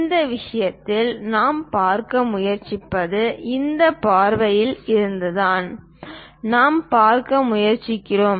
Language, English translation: Tamil, In this case, what we are trying to look at is from this view we are trying to look at